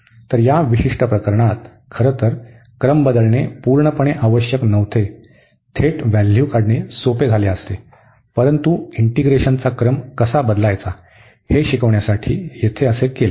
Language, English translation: Marathi, So, in this particular case it was absolutely not necessary to change the order in fact, the direct evaluation would have been easier; but, here the inverse to learn how to change the order of integration